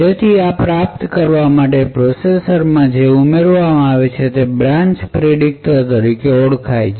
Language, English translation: Gujarati, So, in order to achieve this What is added to the processor is something known as a branch prediction logic